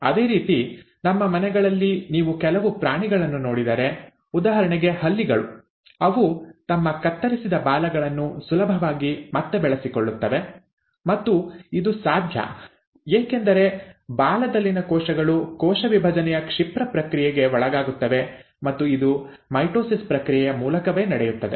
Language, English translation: Kannada, Similarly, if you look at some animals in our regular household, for example lizard, you will find that they easily regrow their clipped tails; and that is possible because the cells in the tail undergo the rapid process of cell division and that is again through the process of mitosis